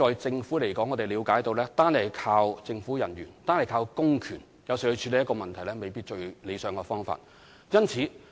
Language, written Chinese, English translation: Cantonese, 政府了解，單靠政府人員和公權來處理問題，未必是最理想的做法。, The Government understands that relying solely on government officials and public power to deal with issues may not be the best practice